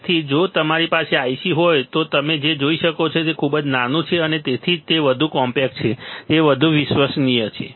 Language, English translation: Gujarati, So, small right if you have IC then what you will see is it is very small tiny and that is why it is more compact, more compact, reliable it is more reliable right